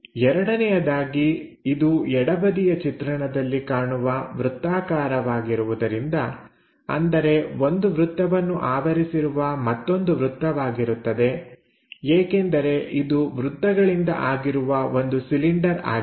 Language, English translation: Kannada, Second, because this is a circle on the left side view, a circle and another circle because this is a cylindrical object having circles